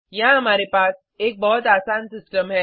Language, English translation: Hindi, We have a very simple system here